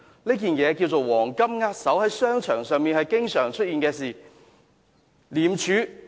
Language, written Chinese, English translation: Cantonese, 這件事名為"黃金握手"，在商場上經常出現。, The incident is taken as a golden handshake which is a very common practice in the business sector